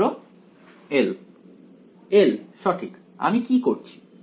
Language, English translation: Bengali, L right what am I doing